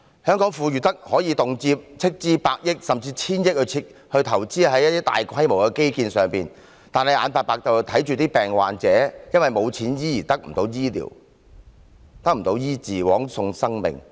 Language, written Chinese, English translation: Cantonese, 香港富裕得可以動輒斥資百億元甚至千億元在大規模的基建上，卻眼睜睜看着罕見病患者因為沒有錢而得不到醫治，枉送生命。, Hong Kong is so affluent that it has no difficulty allocating tens to even hundreds of billion dollars to large - scale infrastructural works . However it just looks on unmoved as rare disease patients lose their lives because they have no money for medical treatment